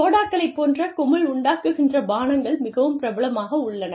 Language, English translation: Tamil, Sodas, any kind of aerated drinks, are very popular